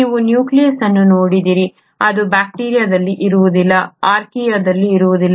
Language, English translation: Kannada, If you were to look at the nucleus, it is not present in bacteria, it is not present in Archaea